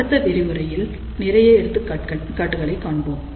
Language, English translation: Tamil, So, in the next lecture, we will see more examples